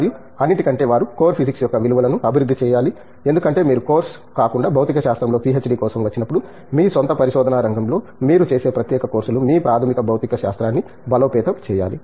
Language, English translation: Telugu, And, over all they should develop the values of core physics because when you come for a PhD in physics apart from the course, specialized courses that you do in your own research area you must strengthen your basic physics